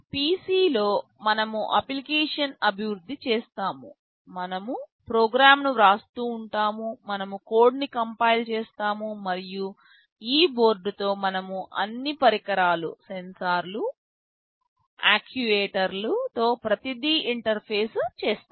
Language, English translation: Telugu, In the PC, we shall be developing the application, we shall be writing the program, we shall be compiling the code, and with this board we shall be interfacing with all the devices, sensors, actuators everything